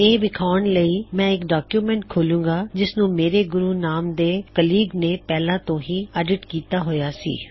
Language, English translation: Punjabi, I am going to demonstrate this by opening a document, which has already been edited by my colleague Guru